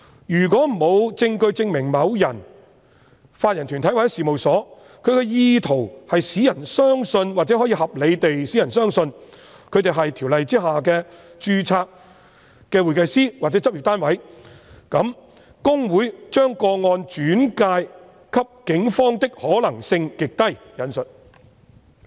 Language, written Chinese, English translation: Cantonese, 如果沒有證據證明某人、法人團體或事務所有意圖使人相信或可以合理地使人相信他們是《條例》下的註冊會計師或執業單位，那麼："公會把個案轉介警方的可能性極低"。, If there is no evidence that an individual body corporate or firm has the intention to mislead or that it may reasonably cause any person to believe that the subject person or company is an HKICPA - registered member or practice unit under the Ordinance then and I quote it is still unlikely for HKICPA to refer to the Police a complaint . That is the assertion of both Mr LEUNG and HKICPA